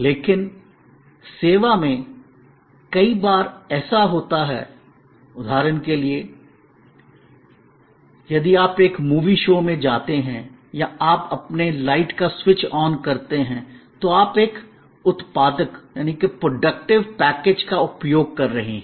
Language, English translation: Hindi, But, in service, there are number of occasions, for example, if you go to a movie show or you switch on your light, you are using a productive package